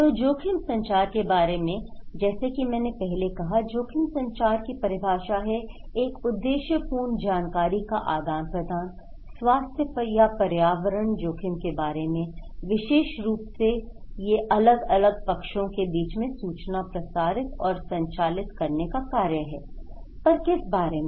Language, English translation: Hindi, So, in case of risk communication, as I said, risk communication is a defined as any purposeful exchange of information about health or environmental risk between interested parties, more specifically it is the act of conveying, transmitting information between parties about what